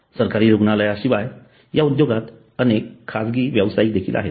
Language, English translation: Marathi, Apart from government hospitals there are so many private players in this industry